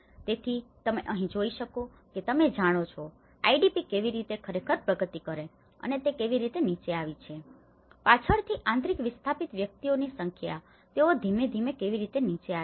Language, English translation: Gujarati, So, you can see here that you know, the IDP how it has actually progressed and it has come down, later on, the number of internal displaced persons, how they have come down gradually